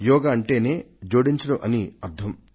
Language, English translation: Telugu, Yoga by itself means adding getting connected